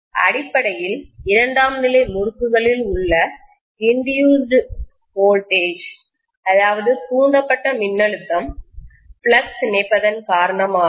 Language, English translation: Tamil, Essentially, the induced voltage in the secondary winding is because of the linking of flux